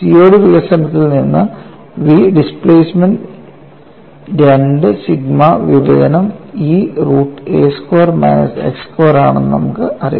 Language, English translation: Malayalam, From the COD development, we know the v displacement is nothing but 2 sigma divided by E root of a squared minus x square